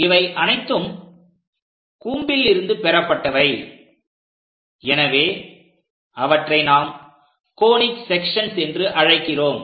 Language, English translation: Tamil, These are the curves generated from a cone, and we usually call them as conic sections